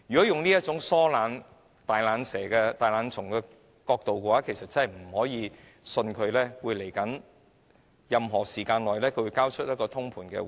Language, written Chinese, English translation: Cantonese, 從她這種疏懶及"大懶蟲"的態度判斷，我們難以相信她在未來會交出通盤回應。, Judging from her slack and lazy attitude we can hardly believe that she will give a holistic reply in the future